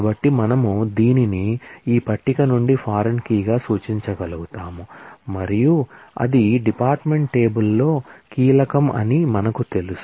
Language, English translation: Telugu, And so, we will be able to refer this, from this table as a foreign key and we know that it will be key in the department table